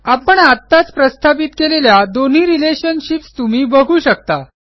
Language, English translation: Marathi, You can see that we just created two relationships